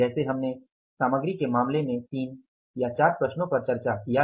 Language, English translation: Hindi, As in case of the material we discussed three or four problems